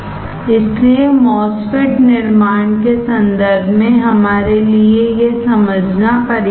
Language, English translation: Hindi, So, this is enough for us to understand when you look at the MOSFET fabrication